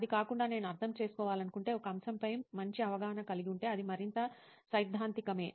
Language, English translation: Telugu, But apart from that, if I want to understand, have a better understanding of a topic, it is more theoretical